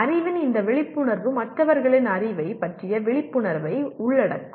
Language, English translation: Tamil, This awareness of knowledge also will include an awareness of other’s knowledge